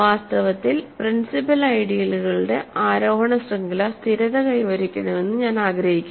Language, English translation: Malayalam, In fact, I want any ascending chain of principal ideals stabilizes